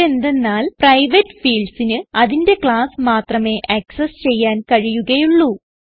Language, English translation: Malayalam, This is because private fields can be accessed only within its own class